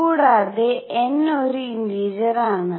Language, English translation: Malayalam, And n is an integer